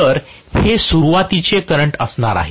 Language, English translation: Marathi, So, this is going to be the starting current